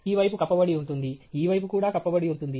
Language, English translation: Telugu, This side is covered, this side is also covered